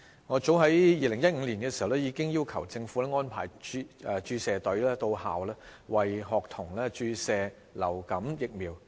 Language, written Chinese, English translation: Cantonese, 我早於2015年已要求政府安排注射隊到校，為學童注射流感疫苗。, I requested as early as in 2015 the Government to set up a school outreach vaccination team to arrange vaccination activities for students at schools